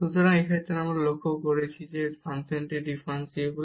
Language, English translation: Bengali, So, in this case we have observed that this function is differentiable